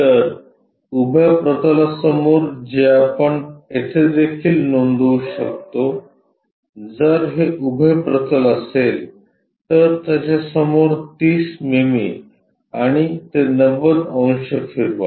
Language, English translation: Marathi, So, in front of vertical plane which we can note it here also, if this is vertical plane in front of that 30 mm and rotate this 90 degrees